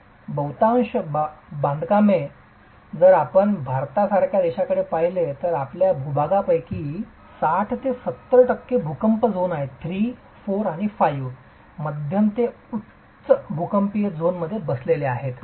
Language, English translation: Marathi, Majority of these constructions, if you look at a country like India, 60 to 70 percent of our land mass is sitting in seismic zones 3, 4 and 5, moderate to high seismic zones